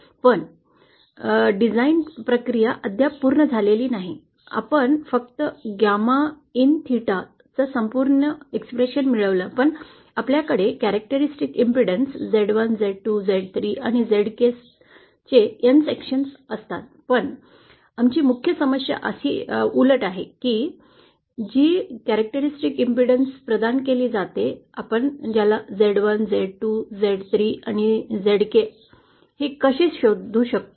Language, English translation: Marathi, But our design process is not yet done, we have just found out an expression for gamma in theta when we have n sections with characteristic impedance z1, z2, z3 & zx, but our main problem is the reverse that is given a certain reflection coefficient, how can we find out z1, z2, z3 & zx